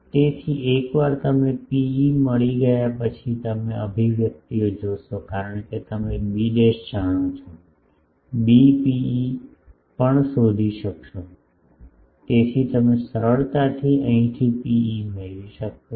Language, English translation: Gujarati, So, once you get rho e you see the expressions, because since you know b dash b rho e also you find out, you can easily get P e from here